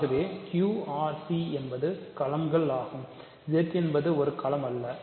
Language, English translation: Tamil, So, Q R C are fields Z is not a field, right